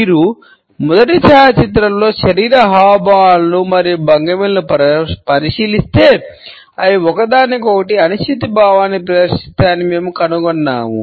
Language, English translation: Telugu, If you look at the body signal gestures and postures in the first photograph, we find that they exhibit a sense of uncertainty towards each other